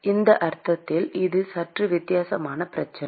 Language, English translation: Tamil, So, in this sense, it is a slightly a different problem